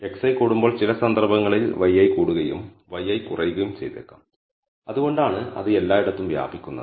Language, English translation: Malayalam, When x i increases maybe y i increases for some cases and y i decreases that is why it is spread in all over the place